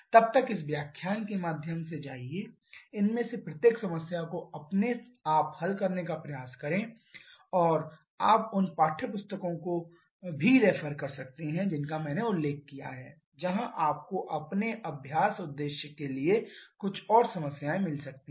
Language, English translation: Hindi, Till then go through this lecture try to solve each of these problems on your own and you can also refer to the textbooks that I have mentioned where you may find some more problems for your practice purpose, thank you